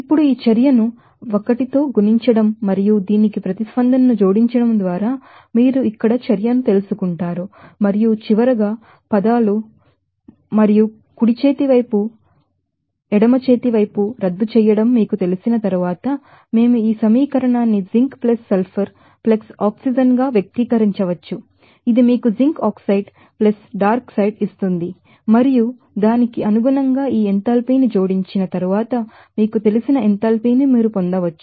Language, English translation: Telugu, Now, multiplying this reaction 1 by 2 and adding to the reaction to will this you know the action of this here and finally, after you know canceling the terms and the right hand side and left hand side, we can express this equation as zinc + sulfur + oxygen that will give you a zinc oxide + Dark side and then you can get this you know enthalpy of after adding these enthalpy accordingly, you know there